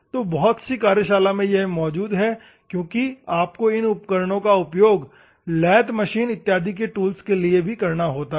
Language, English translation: Hindi, So, many of the workshop because you have to use these tools for the lathe application and other things, ok